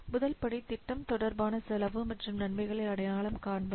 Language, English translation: Tamil, First we have to identify the cost and benefits pertaining to the project